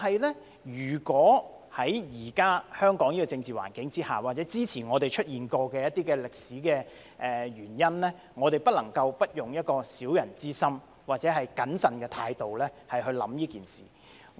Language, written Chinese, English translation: Cantonese, 不過，在現時香港的政治環境下，或之前出現過的歷史原因，我們不能不用小人之心或謹慎的態度去想這件事。, However under the current political environment in Hong Kong or for the historical reasons in the past we cannot but consider the issue with a suspicious and cautious attitude